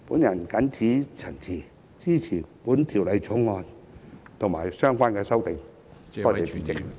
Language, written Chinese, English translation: Cantonese, 我謹此陳辭，支持《條例草案》及相關的修訂。, With these remarks I support the Bill and the relevant amendments